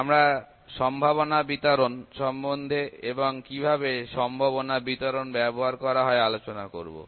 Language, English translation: Bengali, And we will discuss about probability distributions and how the probability distributions can be used